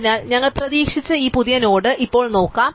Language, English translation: Malayalam, So, we will now look at this new node that we have expected